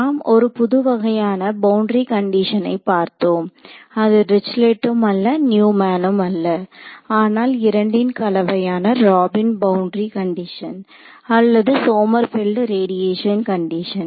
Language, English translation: Tamil, And, we say that this is a new kind of boundary condition not Dirichlet not Neumann, but a combination of the two which is called the Robin boundary condition or Sommerfield radiation condition